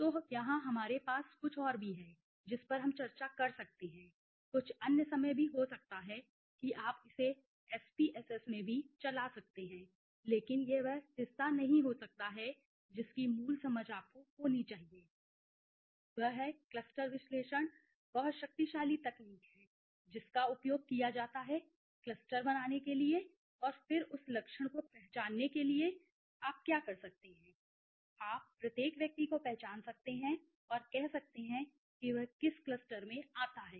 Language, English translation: Hindi, So, this is all we there are something more which also we can discuss may be some other time how it can you can run it in the SPSS also but that is not may be the part of here the basic understanding you should know is that cluster analysis is very powerful technique which is used to create clusters and then identify that traits even what you can do is you can identify each and every individual member and say he falls into which cluster